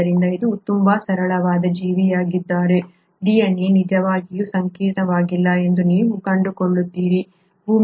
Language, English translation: Kannada, So you find that though it is a very simple organism the DNA is not really as complex